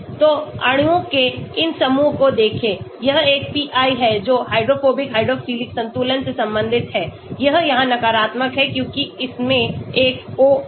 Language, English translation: Hindi, So, looks at these groups of molecules, it is got a pi that is related to hydrophobic hydrophilic balance it is negative here because it has a O here